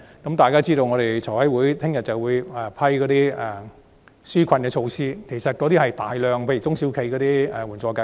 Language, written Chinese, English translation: Cantonese, 大家也知道財務委員會明天會審議紓困措施，當中包括眾多支援中小企的計劃。, We know that the Finance Committee will consider the relief measures tomorrow which include a wide range of schemes to support small and medium enterprises